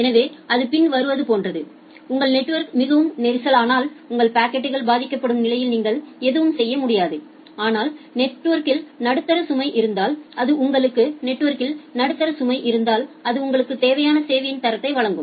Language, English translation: Tamil, So, it is like that, if your network is too congested you cannot do anything in that case your packets will suffer, but if the network has a medium load, then it will provide you the required quality of service